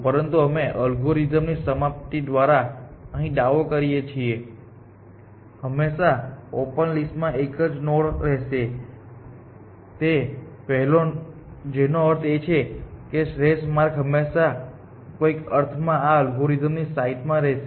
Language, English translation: Gujarati, What we are claiming now that from this path before the algorithm terminates, they would always be one node in the open list, which means the optimal path will always be in the sites of this algorithm in some sense